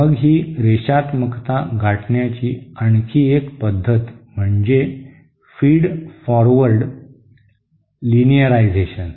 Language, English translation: Marathi, Then yet another method of achieving this linearity is what is known as Feed Forward Linearisation